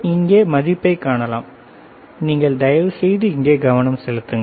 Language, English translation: Tamil, You can see the value can you see the value here can you please focus here